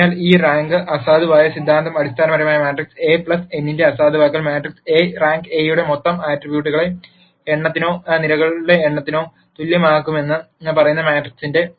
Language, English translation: Malayalam, So, this rank nullity theorem basically says the nullity of matrix A plus the rank of ma trix A is going to be equal to the total number of attributes of A or the number of columns of the matrix